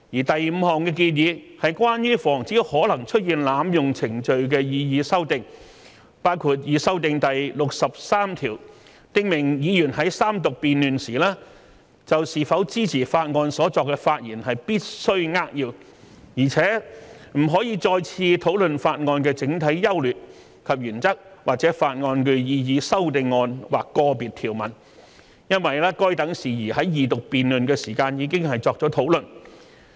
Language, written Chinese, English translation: Cantonese, 第五項建議是關於防止可能出現濫用程序的擬議修訂，包括擬修訂第63條，訂明議員在三讀辯論時就是否支持法案所作的發言必須扼要，而且不可再次討論法案的整體優劣及原則或法案的擬議修正案或個別條文，因該等事宜在二讀辯論時已作討論。, The fifth proposal is about the proposed amendments to prevent possible abuse of procedures . It includes amending Rule 63 to the effect that Members must speak succinctly on whether they would support a bill or otherwise at the Third Reading debate and they may not discuss again the general merits and principles of the bill or the proposed amendments to or individual provisions of the bill which have been discussed at the Second Reading debate